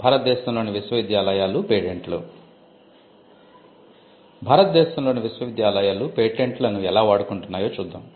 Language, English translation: Telugu, Let us look at how Indian universities have been using Patents